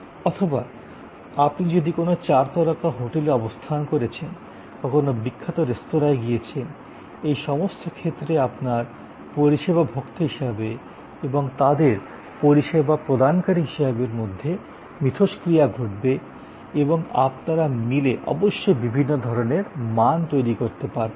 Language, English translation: Bengali, Or if you are staying at a four star hotel or you have gone to visit a classical, you know very famous restaurant, in all these cases there will be lot of interaction between you as the service consumer and them as a service provider and together of course, you will create different kinds of streams of values